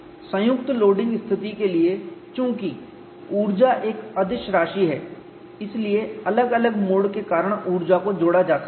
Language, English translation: Hindi, For the combine loading situation, since energy is a scalar quantity, energy due to individual modes can be added